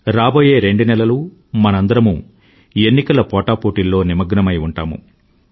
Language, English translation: Telugu, In the next two months, we will be busy in the hurlyburly of the general elections